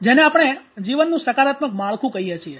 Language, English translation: Gujarati, What we call the positive frame of life